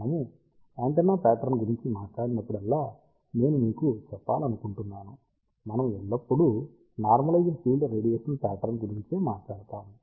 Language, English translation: Telugu, I just want to tell you whenever we talk about antenna pattern; we always talk about normalized radiation pattern